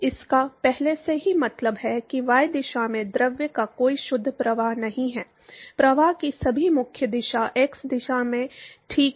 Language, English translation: Hindi, It already means that there is no net flow of the fluid in the y direction, all the primarily direction of flow is in the x direction alright